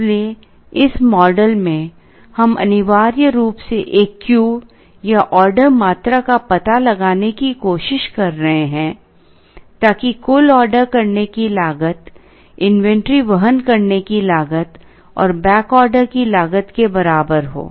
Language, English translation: Hindi, So, in this model we are essentially trying to find out a Q or order quantity such that the total ordering cost is equal to the sum of the inventory carrying cost and the back order cost